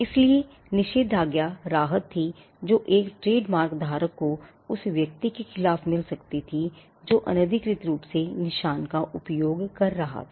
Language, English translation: Hindi, So, injunction was the relief a trademark holder could get against a person who was unauthorizedly using the mark